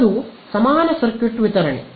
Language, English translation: Kannada, That is equivalent circuit distribution